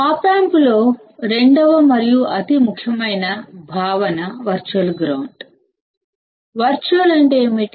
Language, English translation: Telugu, Second and the most important concept in op amp is the virtual ground; what is virtual